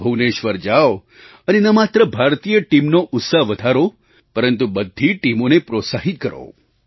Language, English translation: Gujarati, Go to Bhubaneshwar and cheer up the Indian team and also encourage each team there